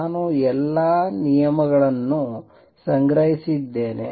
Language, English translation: Kannada, I have collected all the terms